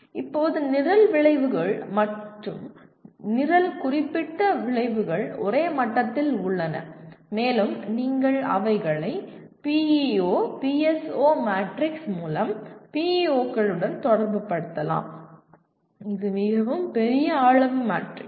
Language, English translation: Tamil, And now Program Outcomes and Program Specific Outcomes are at the same level and they get related to PEOs through what you call PEO PSO matrix and now this is a fairly large size matrix